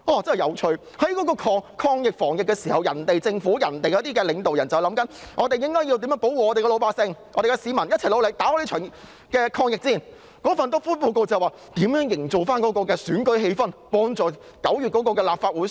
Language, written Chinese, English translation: Cantonese, 在全球抗疫防疫之時，其他政府、其他領導人都在想要如何保護自己的老百姓，市民要一起努力戰勝這場抗疫戰，但那份"篤灰"報告卻說，要如何營造選舉氣氛，幫助9月的立法會選舉。, In the global fight against the epidemic all governments and all leaders strive to protect their people . People have to fight with one heart to win this battle . However it is revealed in the snitching report that our Government wants to focus on how to create an election atmosphere so as to help the Legislative Council Election in September